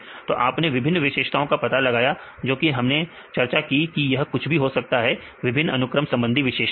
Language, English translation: Hindi, So, that you find the different features, various features we discussed whatever are various sequence base features